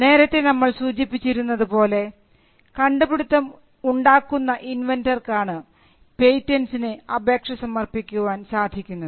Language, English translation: Malayalam, As we mentioned, the inventor is the person who creates the invention and he is the person who is entitled to apply for a patent